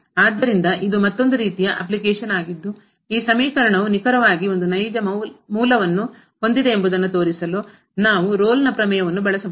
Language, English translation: Kannada, So, this is another kind of application which where we can use the Rolle’s Theorem to show that this equation has exactly one real root